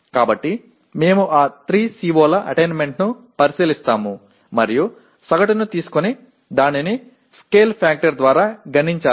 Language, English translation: Telugu, So we look at the attainment of those 3 COs and take an average and multiply it by the, a scale factor